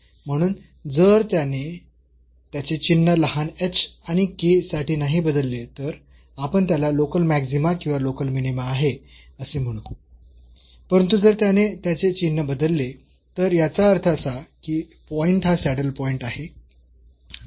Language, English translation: Marathi, So, if this does not change its sign for sufficiently a small h and k then, we call that then this has a local maxima or local minima, but if it changes its sign then; that means, the point is a saddle point